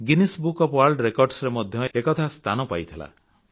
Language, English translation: Odia, This effort also found a mention in the Guinness book of World Records